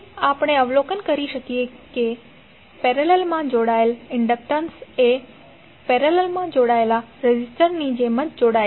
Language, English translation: Gujarati, So what we can observe, we can observe that inductors which are connected in parallel are combined in the same manner as the resistors in parallel